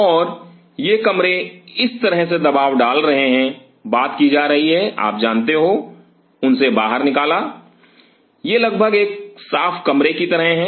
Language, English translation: Hindi, And these rooms are pressurizing such a way thing are being you know pulled out from them these are almost like a clean room